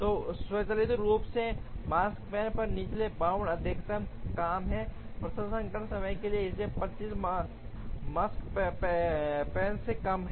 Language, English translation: Hindi, So automatically the lower bound on the Makespan is the maximum of the job processing times, so 25 is a lower bound to the Makespan